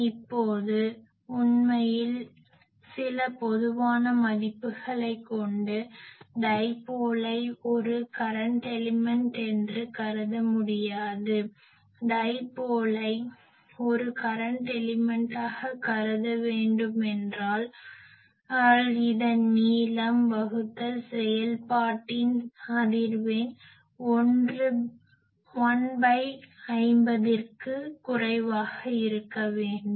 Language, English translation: Tamil, Now, let us have some typical values actually, suppose we will see later that the dipole, it can be considered a current element a dipole can be considered as a current element, if it is length by the frequency of operation is less than 1 by 50